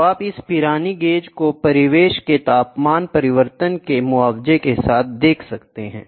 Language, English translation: Hindi, So, you see this Pirani gauge with compensation for ambient temperature change